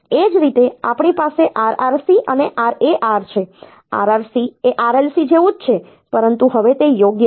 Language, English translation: Gujarati, Similarly, we have got RRC and RAR, RRC is same as RLC, but now it is right